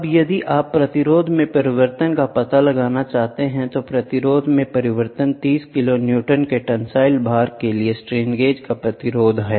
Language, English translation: Hindi, So, fine and then now if you want to find out the change in resistance, change in resistance in the resistance of the strain gauge for a tensile load of 30 kiloNewton